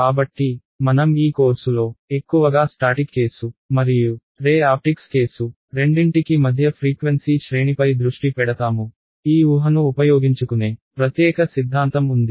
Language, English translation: Telugu, So, we will be focusing in this course mostly on the mid frequency range for both the statics case and the ray optics case, there is a specialized theory which makes use of this assumption